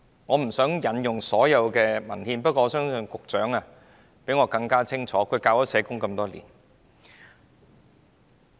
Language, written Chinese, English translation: Cantonese, 我不想引用所有文獻，不過我相信局長較我更清楚，他已教授社會學多年。, I do not want to cite all the examples in the documents but I believe the Secretary knows better than I do given that he has taught sociology for many years